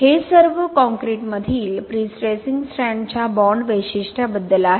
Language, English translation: Marathi, That is all about the bond characteristic of prestressing strand in concrete